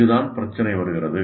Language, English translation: Tamil, And this is where the issue comes